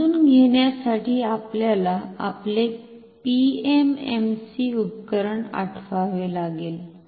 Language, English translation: Marathi, For this, we have to recall our PMMC instrument, for ease of understanding